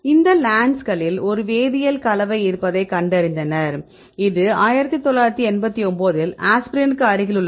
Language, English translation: Tamil, So, they found that that there is a chemical compound that is present right in these plants, right this is close to the aspirin in 1989